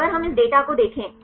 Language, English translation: Hindi, So, if we look into this data